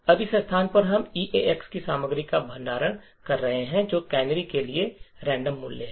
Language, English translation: Hindi, Now at this location we are storing the contents of EAX which is the random value for the canary